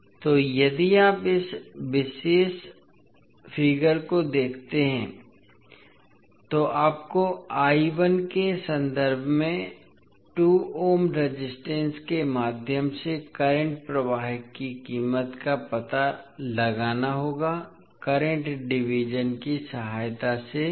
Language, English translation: Hindi, So, if you see this particular figure you need to find out the value of current flowing through 2 ohm resistance in terms of I 1, with the help of current division